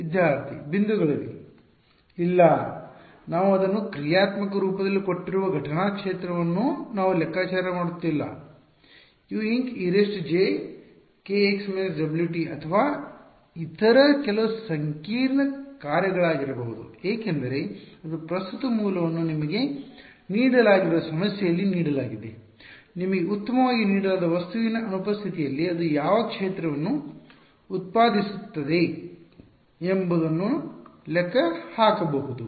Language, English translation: Kannada, No, we are not computing the incident field it is given to me in functional form for example, U incident can be e to the j k x minus omega t or some other complicated function because it is like then given in the problem the current source is given to you can calculate what field it produces in the absence of the object that is given to you fine